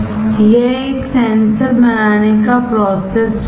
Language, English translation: Hindi, This is a process flow for fabricating a sensor